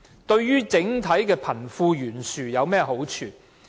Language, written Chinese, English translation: Cantonese, 對貧富懸殊有甚麼好處？, How does it help ease the disparity between the rich and the poor?